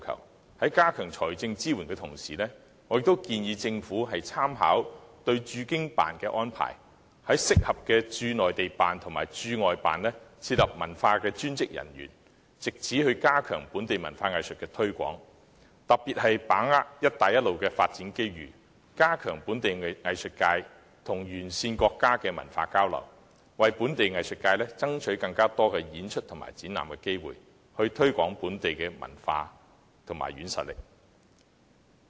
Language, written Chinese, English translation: Cantonese, 我建議政府在加強財政支援的同時，也參考駐京辦的安排，在合適的駐內地辦及駐外辦設立文化專員一職，藉此加強在內地及外地推廣本地文化藝術，特別是把握"一帶一路"的發展機遇，加強本地藝術界與沿線國家的文化交流，為本地藝術界爭取更多演出和展覽機會，藉此推廣本地文化和軟實力。, I suggest that the Government while strengthening financial support should draw on the practice of the offices of the HKSAR Government on the Mainland and create dedicated posts of Commissioner for Culture under appropriate Mainland Offices and overseas Hong Kong Economic and Trade Offices thereby stepping up promotion of local culture and arts both in the Mainland and abroad . In particular we should grasp every development opportunity brought by the Belt and Road Initiative to strengthen cultural exchange between the local arts sector and the countries along the Belt and Road route with a view to securing more opportunities for members of our arts sector to perform and hold exhibitions . This can help promote local culture and the soft power of the city